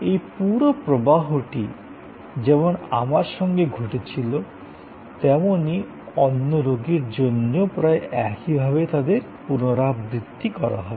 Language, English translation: Bengali, And this whole flow as it happen to me will be almost identically repeated for another patient